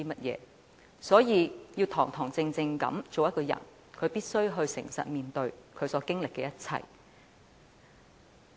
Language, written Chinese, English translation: Cantonese, 因此，要堂堂正正做一個人，便必須誠實面對他所經歷的一切。, Hence to be an upright man one must face all he has experienced honestly